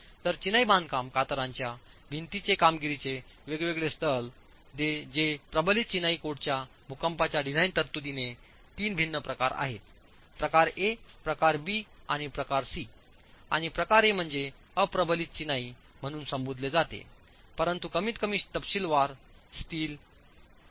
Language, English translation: Marathi, So, the different performance levels of the masonry shear walls that the seismic design provisions of the reinforced masonry code considers are three different categories, type A, type B and type C, and type A is what is referred to as unreinforced masonry but detailed with minimum steel